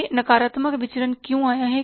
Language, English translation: Hindi, Why this negative variance has come up